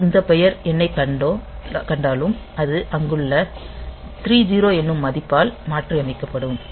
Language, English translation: Tamil, So, wherever it finds the word count it will replace by the value 30 there